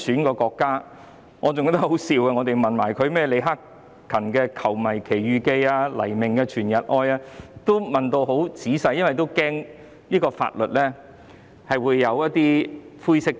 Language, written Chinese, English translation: Cantonese, 我記得我們當時問他，李克勤的"球迷奇遇記"、黎明的"全日愛"等流行曲，會否因曲調與國歌相似而被視為貶損國家？, I remember that we asked him at that time whether Hacken LEEs Adventure of Football Fans and Leon LAIs All Day Love and other popular songs would be regarded as disrespectful of the country because the scores were similar to the national anthem